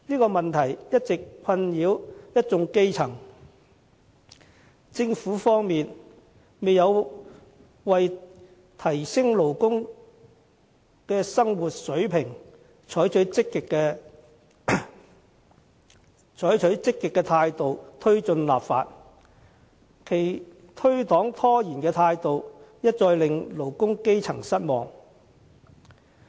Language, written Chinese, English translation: Cantonese, 這問題一直困擾一眾基層，政府方面卻沒有為提升勞工的生活水平，採取積極的態度推行立法，其推搪拖延的態度又一再令勞工基層失望。, This problem has been frustrating the grassroots but the Government has also failed to drive the enactment of legislation with a positive attitude . Its evasiveness and procrastination has once again disappointed the working - class people